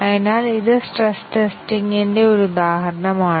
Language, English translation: Malayalam, So, this is an example of stress testing